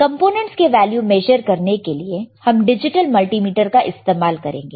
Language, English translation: Hindi, To measure this value, we can use this particular equipment called a digital multimeter